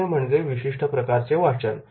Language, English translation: Marathi, Third one is the specific readings